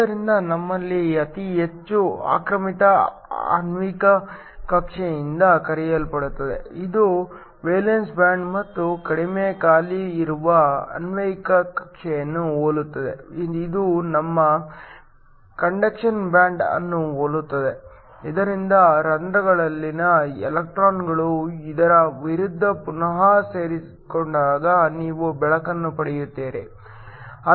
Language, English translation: Kannada, So, we have something called a highest occupied molecular orbital, which is similar to a valence band and a lowest unoccupied molecular orbital, which is similar to your conduction band, so that when electrons in holes recombine against this you will get light